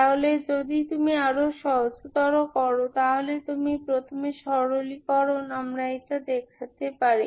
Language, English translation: Bengali, So if you simplify, further so you first simplification we can see this one